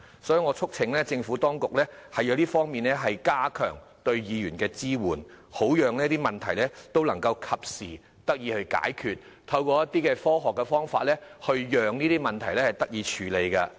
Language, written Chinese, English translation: Cantonese, 所以，我促請政府當局在這方面加強對區議員的支援，好讓這些問題能夠及時得以解決，並可以透過一些科學方法處理這些問題。, For this reason I urge the Administration to enhance the support for DC members in this regard so that these problems can be resolved in a timely manner and also handled in scientific ways